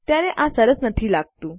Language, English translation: Gujarati, Then these dont look too nice